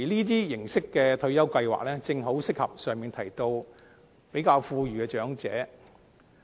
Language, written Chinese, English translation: Cantonese, 這種形式的退休計劃，正好適合比較富裕的長者。, This form of retirement protection scheme is precisely suitable for those better - off elderly people